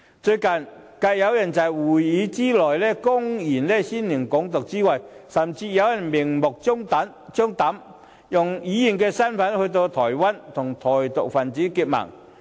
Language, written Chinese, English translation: Cantonese, 最近，繼有人在議會內公然宣揚"港獨"後，有人甚至明目張膽地以議員身份到訪台灣，與台獨分子結盟。, Recently after someone openly advocated the idea of Hong Kong independence in this Council some even blatantly visited Taiwan in their capacity as Members of this Council and formed alliance with Taiwan independence activists